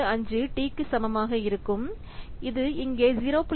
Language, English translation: Tamil, 75 t and which is equal to 0